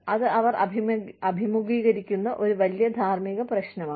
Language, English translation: Malayalam, That is a big ethical issue, that they face